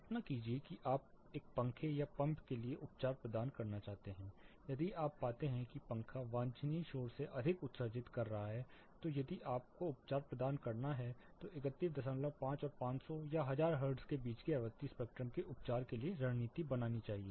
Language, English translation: Hindi, Imagine you want to provide treatment for a fan or pump, if you find that the fan is emitting more than desirable noise then if you have to provide treatment your treatment material as well as the strategy should be attending to treat the frequency spectrum between 31 and half hertz to around 500 or say 1000 hertz